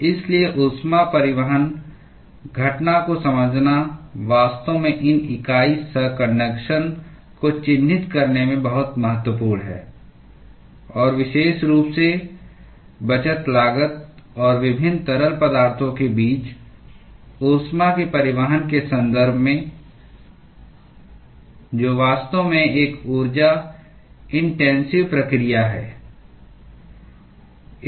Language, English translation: Hindi, So, understanding the heat transport phenomena is actually very important in characterizing these unit operations, and particularly in terms of the saving cost and transporting heat between different fluids, which is actually an energy intensive process